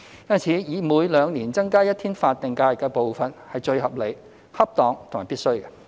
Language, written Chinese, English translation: Cantonese, 因此，每兩年增加一天法定假日的步伐是最合理、恰當和必須的。, Therefore increasing the number of SHs by an increment of one day at two - year interval is the most rational suitable and essential